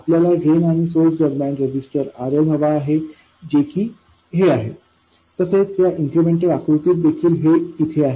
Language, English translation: Marathi, And we want the resistor RL between the drain and ground, which is this, which is also this in the incremental picture